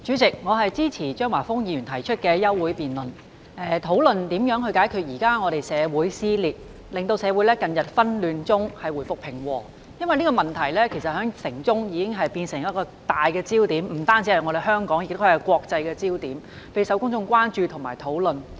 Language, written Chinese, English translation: Cantonese, 代理主席，我支持張華峰議員提出的休會待續議案，以討論如何解決目前的社會撕裂，令社會從近日的紛亂中回復平和，因為這個問題已不單是香港的焦點，亦是國際的焦點，備受公眾關注和討論。, Deputy President I support the adjournment motion proposed by Mr Christopher CHEUNG which seeks to hold a discussion on ways to address the current social dissension and return society from the current chaos to peace as this issue has aroused concerns and debates not only in Hong Kong but also in the international community